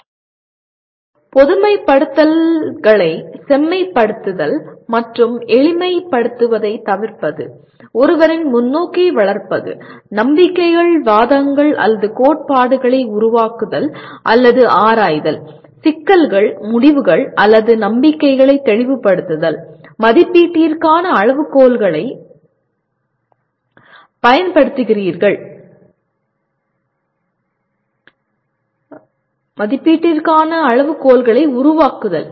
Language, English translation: Tamil, Further, refining generalizations and avoiding over simplifications; developing one’s perspective, creating or exploring beliefs arguments or theories; clarifying issues, conclusions or beliefs; developing criteria for evaluation